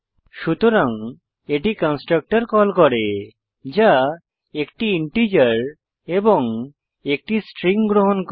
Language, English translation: Bengali, Hence it calls the constructor that accepts 1 integer and 1 String argument